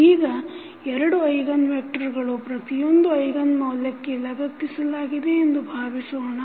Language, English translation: Kannada, Now, let us assume that the there are two eigenvectors attached to each eigenvalue